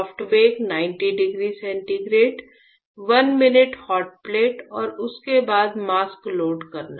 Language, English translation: Hindi, Soft bake 90 degree centigrade; 1 minute hotplate followed by loading a mask; followed by loading a mask